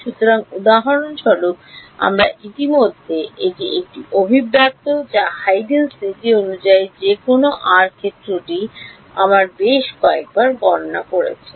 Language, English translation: Bengali, So, for example, we already this is an expression which is we have calculated several times the field that any r as per Huygens principle